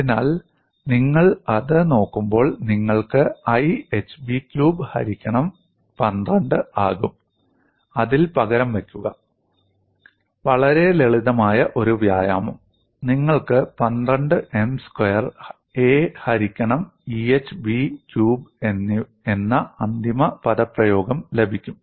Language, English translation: Malayalam, So, when you look at that, you get I as hB cube by 12, and just substitute it in this; fairly a simple exercise and you get the final expression which is given as 12 M square a divided by EhB cube